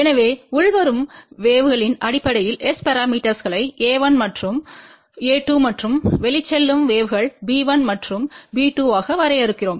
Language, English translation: Tamil, So, we actually define S parameters in terms of incoming waves which could be a 1 and a 2 and outgoing waves b 1 and b 2